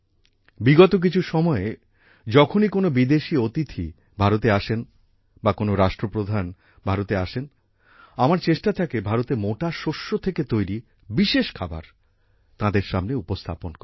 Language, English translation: Bengali, For the last some time, when any foreign guests come to India, when Heads of State comes to India, it is my endeavor to get dishes made from the millets of India, that is, our coarse grains in the banquets